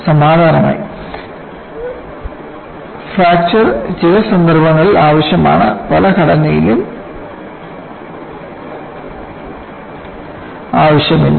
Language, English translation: Malayalam, On similar vein,fracture is needed in some cases; fracture is not needed in many of the structures